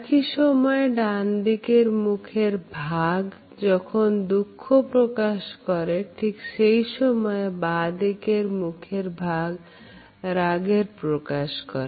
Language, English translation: Bengali, During the right side of a face reveals a cheesy grief, while during the left side reveals a angry frown